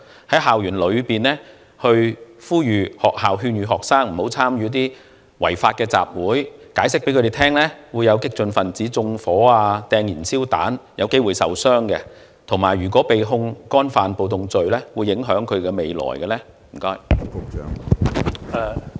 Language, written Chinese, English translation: Cantonese, 例如，在校園內呼籲或勸諭學生不要參與違法集會，向他們解釋屆時會有激進分子縱火或投擲燃燒彈，以致他們有機會受傷，以及如果他們被控干犯暴動罪，他們的前途便會受到影響等。, For example the Bureau may urge or advise students not to participate in unlawful assemblies explain to them that radical elements may commit arson or throw petrol bombs at such assemblies and they may be hurt tell them that their future will be ruined if they are charged with rioting offences